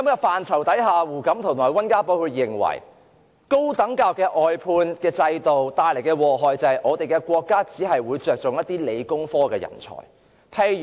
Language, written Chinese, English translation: Cantonese, 當時胡錦濤和溫家寶都認為，高等教育外判制度只會帶來禍害，令到國家只看重理工科人才。, Back then both HU Jintao and WEN Jiabao considered that an outsourcing system for higher education would be disastrous for the State would only take science and technology talents seriously as a result